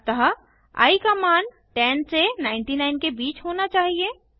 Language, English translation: Hindi, So, i should have values from 10 to 99